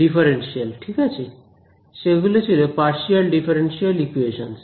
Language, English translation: Bengali, Differential form right; they were partial differential equations ok